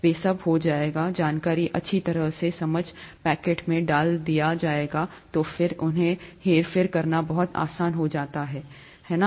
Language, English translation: Hindi, They’ll all be, the information will be put into nicely understandable packets, and then it becomes much easier to manipulate them, right